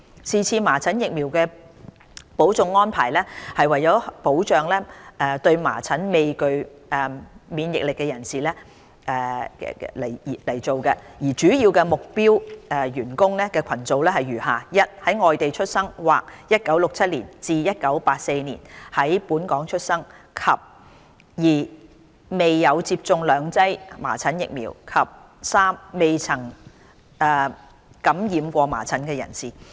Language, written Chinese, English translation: Cantonese, 是次麻疹疫苗補種安排是為了保障對麻疹未具備免疫力的人士，主要目標員工群組如下： 1在外地出生或1967年至1984年在本港出生；及2沒有接種兩劑麻疹疫苗；及3未曾感染過麻疹的人士。, The vaccination exercise aims to protect those non - immune to measles . The target groups working at the airport are as follows a those born abroad or born between 1967 and 1984 in Hong Kong; and b those who have not received two doses of measles vaccine; and c those who have not been infected with measles before